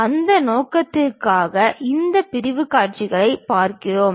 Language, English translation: Tamil, For that purpose we really look at this sectional views